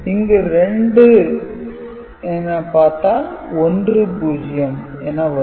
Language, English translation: Tamil, So, 8 plus 2, 10 will be there